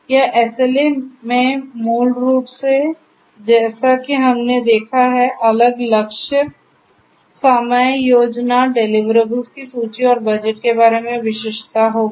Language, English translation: Hindi, So, this SLA basically as we have seen will have different goals, time plan, list of deliverables and the specificity about the budget